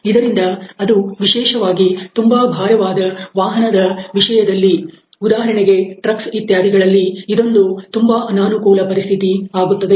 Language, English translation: Kannada, So, this is a very uncomfortable situation and particularly in heavy vehicles like trucks etcetera